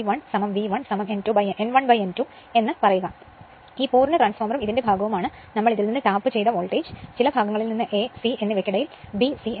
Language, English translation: Malayalam, When we are taking as autotransformer, this full transformer and part of this we are that voltage we are tapped from this your what you callfrom some part say between your between A and C that is B and C right